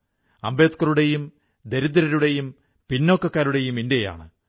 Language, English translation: Malayalam, It is an India which is Ambedkar's India, of the poor and the backward